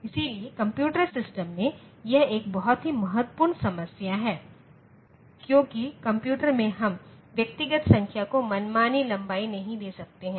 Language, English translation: Hindi, So, in computer system, this is a very important problem because in computers we cannot give arbitrary length to individual numbers